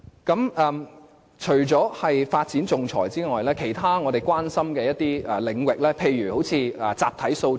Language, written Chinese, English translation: Cantonese, 除了仲裁方面的發展外，其他我們所關注的領域亦包括集體訴訟。, In addition to development in the field of arbitration other fields of concern to us include class action